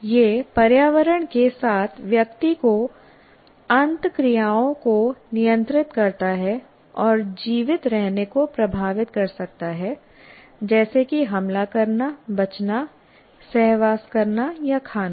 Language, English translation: Hindi, And it regulates individuals interactions with the environment and can affect survival, such as whether to attack, escape, mate or eat